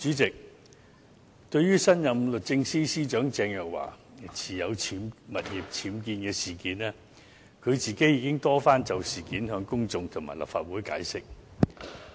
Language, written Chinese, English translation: Cantonese, 主席，對於新任律政司司長鄭若驊的物業僭建事件，她已多番就事件向公眾及立法會解釋。, President regarding the unauthorized building works UBWs in the property of the new Secretary for Justice Teresa CHENG she has time and again explained to the public and the Legislative Council